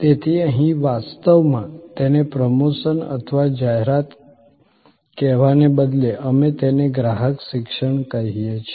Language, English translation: Gujarati, So, here actually instead of calling it promotion or advertising, we call it customer education